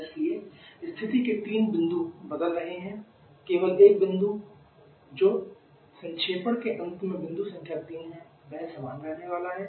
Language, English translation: Hindi, So 3 of the state points are changing only one state point that is point number 3 at the end of condensation that is remaining the same